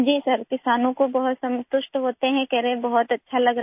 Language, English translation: Hindi, Yes Sir, the farmers feel very satisfied… they are saying that they are feeling very good